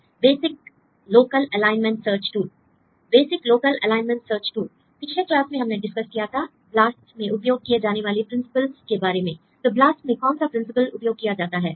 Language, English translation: Hindi, Basic local alignment search tool; in the last class we discussed about the principle used in BLAST what are principle used in BLAST